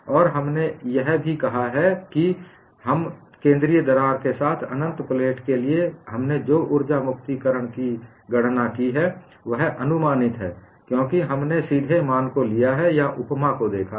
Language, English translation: Hindi, And we have also said, whatever the calculation of energy release rate we have done for the infinite plate with a certain crack is only approximate, because we have directly taken the value or looked at the analogy